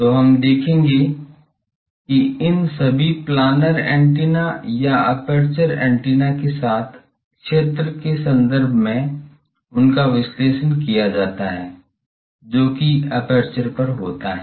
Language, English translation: Hindi, So, we will see that, so all these planar antennas or aperture antennas, they are analyzed in terms of field with, that is there on the aperture